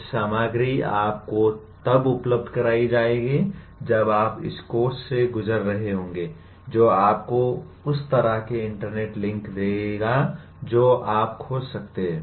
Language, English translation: Hindi, Some material will be made available to you when you are going through this course which will give you the kind of internet links that you can explore